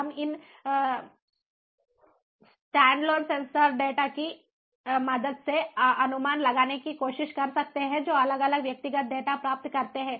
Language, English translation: Hindi, we can try to make inferencing with the help of these standalone sensor data that are received, the separate individual data that are received